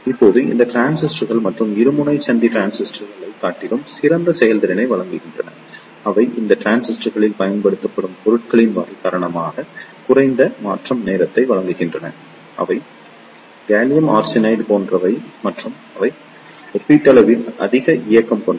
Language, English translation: Tamil, Now these transistors provide better performance over other bipolar junction transistors, they provide low transition time due to the type of material used in these transistors that are like gallium arsenide and they relatively have high mobility